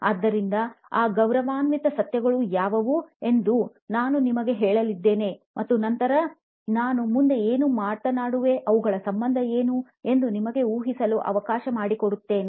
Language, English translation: Kannada, So, I am going to be telling you what those noble truths are, and then, I will let you guess what we are going to talk about next after that, I will let you do the connection